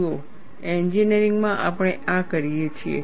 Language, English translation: Gujarati, See, in engineering, this is what we do